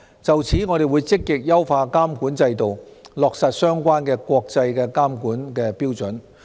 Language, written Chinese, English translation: Cantonese, 就此，我們會積極優化監管制度，落實相關國際監管標準。, To this end we will proactively enhance the supervisory system and implement relevant international regulatory standards